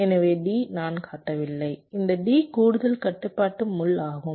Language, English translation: Tamil, so d i am not showing, and this t will be the extra additional control pin